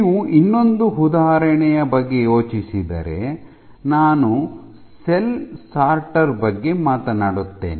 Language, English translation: Kannada, If you think of another application I will talk about a cell sorter